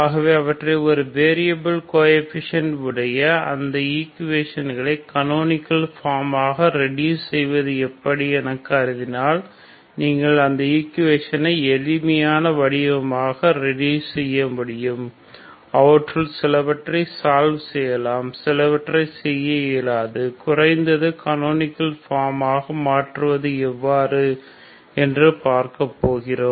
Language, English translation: Tamil, So if we consider them how to reduce them into those equations with a variable coefficients into canonical form so that you can reduce the equation into simpler form so which some of the equations can be solved ok, and some you may not be able to solve atleast is the canonical form so will see how do we do this, we start with an example that is hyperbolic equation